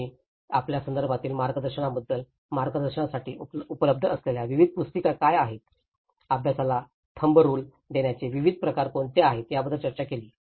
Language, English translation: Marathi, Then we did discuss about the guidance you know, what are the various manuals that has provided guidance, what are the various kind of giving thumb rule directions to the practitioners